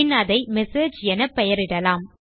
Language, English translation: Tamil, Then we will name it as message